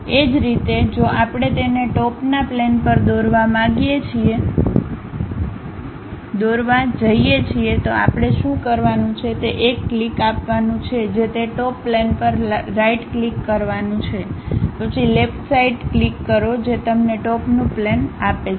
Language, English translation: Gujarati, Similarly, if we are going to draw it on top plane what we have to do is give a click that is right click on that Top Plane, then give a left click on that gives you top plane